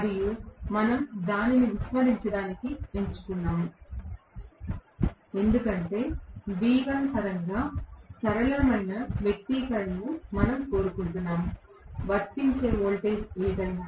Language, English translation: Telugu, And we chose to neglect it because we wanted a simpler expression in terms of V1 itself, whatever is the voltage that is being applied